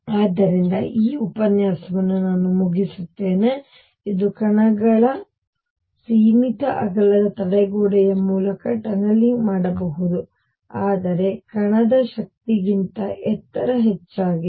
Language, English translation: Kannada, So, I will just conclude this lecture which is a very short one that particles can tunnel through a barrier of finite width, but height greater than the energy of the particle